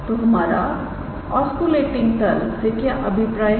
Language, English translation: Hindi, So, what do we mean by oscillating plane